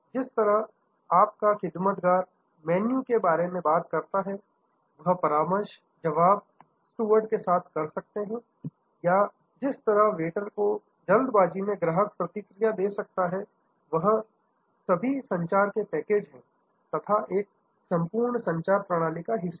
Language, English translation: Hindi, The way your steward talk about the menu, the consultation that you can have with steward or the way the waiter response to customer in a hurry, all of these are communication packages, a part of the whole communication system